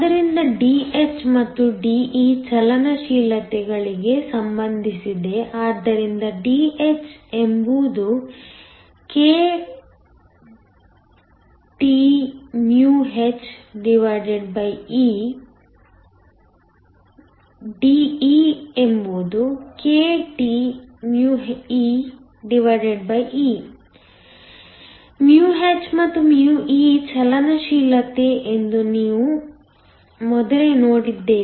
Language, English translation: Kannada, So, Dh and De are related to the mobilities, so that Dh is kThe, De is kTee; where we have seen earlier that μh and μh are the mobility